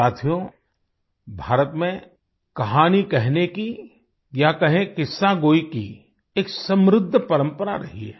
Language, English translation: Hindi, In India there has been a rich tradition of storytelling or Qissagoi